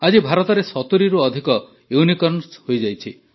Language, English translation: Odia, Today there are more than 70 Unicorns in India